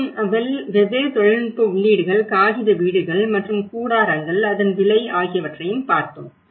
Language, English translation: Tamil, And different technological inputs, paper houses and tents, the cost of it